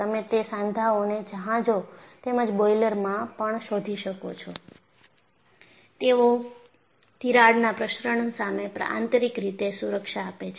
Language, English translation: Gujarati, You also find them in ships as well as boilers, and they provide in built safety against crack propagation